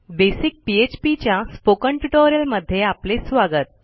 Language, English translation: Marathi, Welcome to this basic php Spoken Tutorial